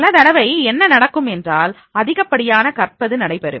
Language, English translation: Tamil, Many times what happens, that is the over learning is there